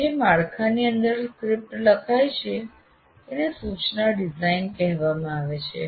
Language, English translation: Gujarati, And the framework within which a script is written is called instruction design